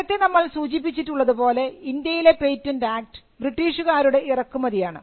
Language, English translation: Malayalam, As we mentioned before, the patents act in India came as a British import